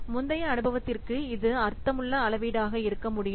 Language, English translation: Tamil, It can be meaningfully calibrated to previous experience